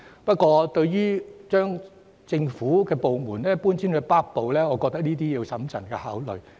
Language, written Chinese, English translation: Cantonese, 不過，對於將政府部門遷往北區，我認為要審慎考慮。, Yet as regards the proposal of relocating government departments to the North District I think it deserves careful consideration